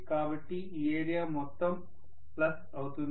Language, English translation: Telugu, So that is this entire area